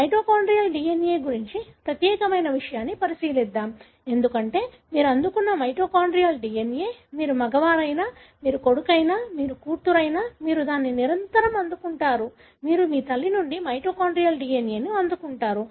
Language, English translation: Telugu, Let’s look into the unique thing about mitochondrial DNA, because the mitochondrial DNA that you receive, you receive it invariably from, whether you are male, whether you are son, you are daughter; you receive the mitochondrial DNA from your mother